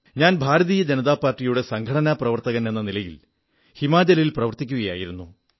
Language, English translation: Malayalam, I was then a party worker with the Bharatiya Janata Party organization in Himachal